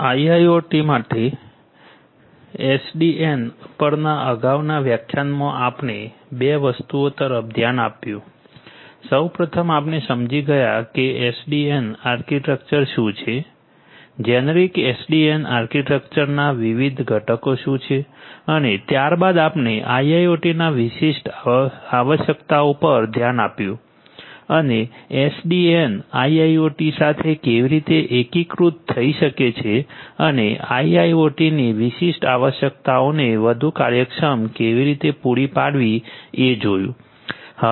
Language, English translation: Gujarati, In the previous lecture on SDN for IIoT we looked at 2 things, first of all we understood what is the SDN architecture, what are the different components of a generic SDN architecture and there we thereafter we looked into this IIoT specific requirements and how SDN can integrate with a IIoT and catering to these particular requirements of IIoT in a much more efficient manner